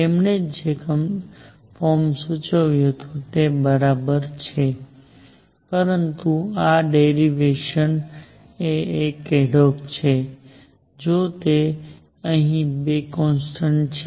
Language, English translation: Gujarati, Exactly the form that he has proposed, but this is derivation is adhoc; however, there are two constants here right